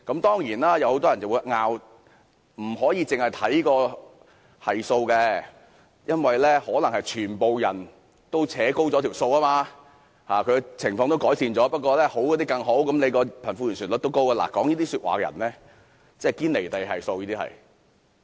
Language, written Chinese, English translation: Cantonese, 當然，有很多人會爭論不應只看該系數，因為可能是全部人一同拉高了數據，也就是說情況可能已經改善，只是好的人變得更好，所以貧富懸殊率才會高。, In other words the problem of disparity between the rich and the poor is worsening . Certainly many people may argue that the coefficient is not the sole indicator for the figure reflecting the disparity between the rich and poor may have been driven upwards because the well - off people have become better and improvement may have already been achieved